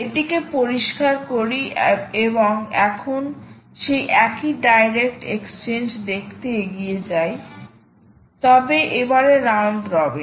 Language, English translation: Bengali, and now lets move on to see the same direct exchange, but this time round robin